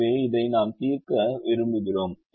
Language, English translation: Tamil, so this is the problem that we have used